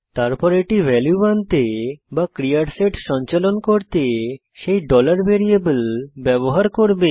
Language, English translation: Bengali, Then it will use that $variable to fetch the value or to perform a set of actions